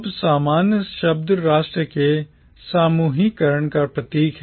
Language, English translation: Hindi, Now the word commonwealth signifies a grouping of nation